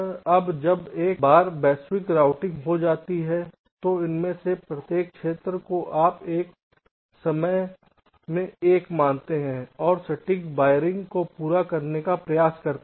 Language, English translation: Hindi, now, once a global routing is done, then each of this individuals region, you consider one at a time and try to complete the exact wiring